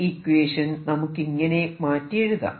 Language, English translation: Malayalam, Lets us write this equation in a slightly better form now